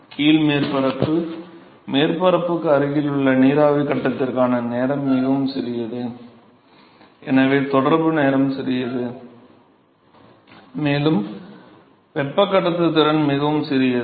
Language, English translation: Tamil, So, the residence time for the vapor phase near the surface is very small and so, the contact time is small and also, the conductivity is very small